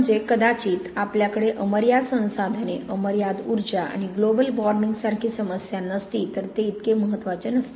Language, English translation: Marathi, I mean, may be if we had unlimited resources, unlimited energy and no problem like global warming it would not be so important